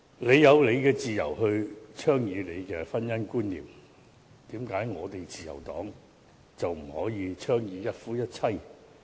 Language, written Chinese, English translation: Cantonese, 為何你有自由倡議自己的婚姻觀念，自由黨卻不可以倡議一夫一妻制？, Why is the Liberal Party not allowed to advocate monogamy while you have the freedom to advocate your beliefs in marriage?